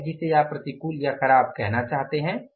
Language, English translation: Hindi, Whatever it is you want to call it as adverse or unfavorable